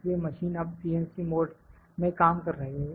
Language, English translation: Hindi, So, now the machine is working in a CNC mode